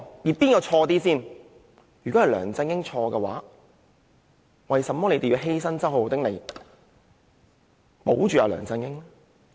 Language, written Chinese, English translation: Cantonese, 如果錯的是梁振英，為甚麼還要犧牲周浩鼎議員來保住梁振英？, If LEUNG Chun - ying is wrong what is the point of sacrificing Mr Holden CHOW for LEUNG Chun - ying?